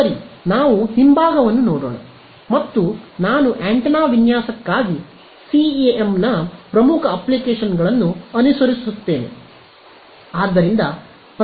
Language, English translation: Kannada, Right so, let us have a look at the back and I follow the major application of CEM for antenna design right